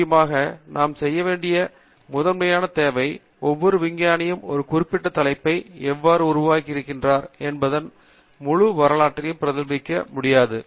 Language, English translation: Tamil, So, essentially the first requirement that we need to do is every scientist cannot replicate the entire history of how a particular topic has evolved